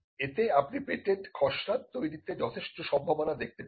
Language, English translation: Bengali, Now this tells you that there is quite a lot of possibility in patent drafting